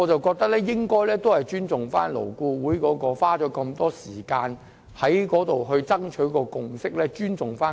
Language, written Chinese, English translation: Cantonese, 我認為有必要尊重勞顧會花了大量時間所取得的共識和基礎。, We have to respect the consensus and foundation reached by LAB after spending so much time and efforts